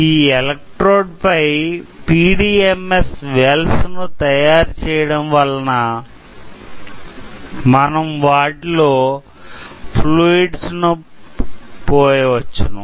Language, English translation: Telugu, So, we have fabricated PDMS wells over this inter digital electrode so, that we can pour some fluid onto it ok